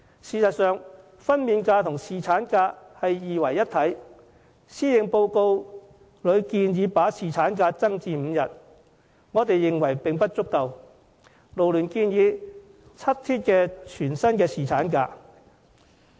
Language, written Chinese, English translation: Cantonese, 事實上，分娩假與侍產假是二為一體的，施政報告建議增加侍產假至5天，勞聯認為並不足夠，建議7天全薪的侍產假。, As a matter of fact paternity leave and maternity leave are integral to each another . FLU considers it insufficient to raise paternity leave to five days as proposed in the Policy Address so we recommend 7 days of full - pay paternity leave instead